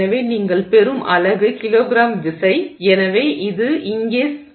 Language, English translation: Tamil, The units you end up getting as kilogram force per millimeter square